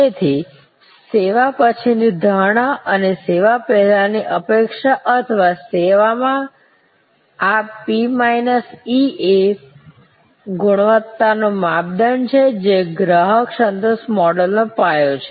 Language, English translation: Gujarati, So, perception after service and expectation before service or in service this P minus E is the measure of quality is the foundation of customer satisfaction models